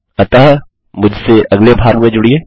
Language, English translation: Hindi, So join me in the next part